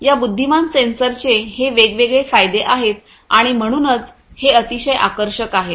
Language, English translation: Marathi, These are the different advantages of these intelligent sensors and that is why these are very attractive